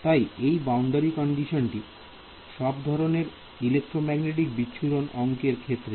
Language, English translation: Bengali, So, this boundary condition is very important in almost all electromagnetic scattering problems